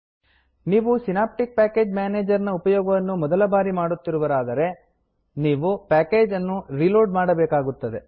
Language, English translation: Kannada, If you are using the synaptic package manager for the first time, you need to reload the packages